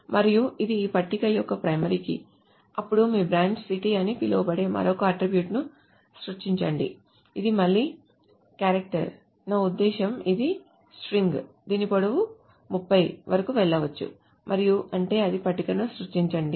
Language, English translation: Telugu, Then you create another attribute which is called branch city which is again a character which can go, I mean this is a string which can whose length can go up to 30